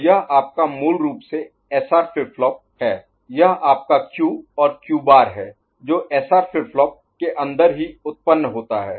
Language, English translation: Hindi, So, this is your basic SR flip flop, this is your Q and Q bar right which is generated internally in the SR flip flop